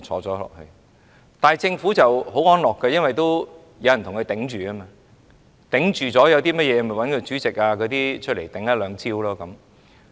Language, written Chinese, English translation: Cantonese, 這樣政府便很安樂，因為有人為其招架，有甚麼問題便找主席及委員來招架。, But the Government is glad about this as some people will take up responsibility for it . When anything happens the Chairman and the Board Members will be there to deal with the situation